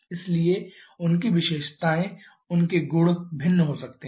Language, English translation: Hindi, So, their characteristics their properties can be different